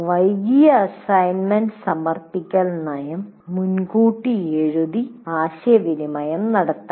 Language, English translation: Malayalam, That late assignment submission policy should be written